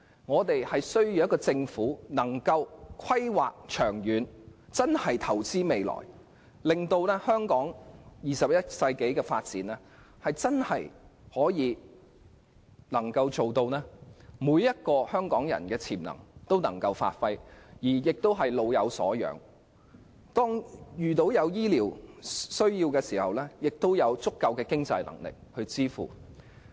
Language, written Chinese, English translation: Cantonese, 我們需要一個懂得作出長遠規劃、真正投資未來的政府，令香港21世紀的發展能夠給予每位香港人發揮潛能的機會，做到"老有所養"，有醫療需要的市民也有足夠的經濟支援。, What we need at present is a Government capable of making long - term planning and truly investing for the future so that in the 21 century all Hong Kong people will be provided with opportunities to give full play to their talents the elderly will be well taken care of and people with medical needs will be provided with adequate financial support